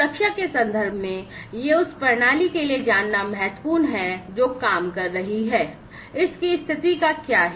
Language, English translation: Hindi, So, in terms of safety, it is important to know for the system that is operating, what is the condition of it